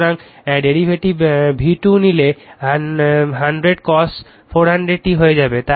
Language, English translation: Bengali, So, if you take the derivative V 2 will become 100 cosine 400 t right